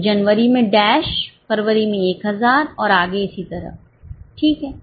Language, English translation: Hindi, So, dash in January, 1000 in February and so on